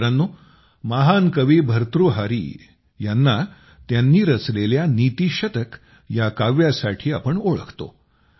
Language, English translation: Marathi, Friends, we all know the great sage poet Bhartrihari for his 'Niti Shatak'